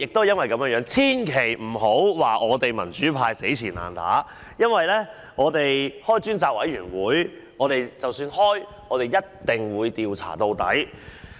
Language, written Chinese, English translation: Cantonese, 因此，千萬不要說我們民主派"死纏爛打"，因為如果能夠成立專責委員會，我們一定調查到底。, Therefore do not say that we in the pro - democracy camp are sore losers because we will definitely dig to the bottom of it if a select committee can be set up